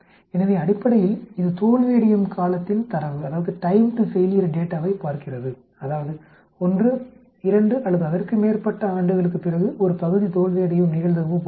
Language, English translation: Tamil, So basically, it is looking at time to failure data such as the probability that a part fails after 1, 2 or more years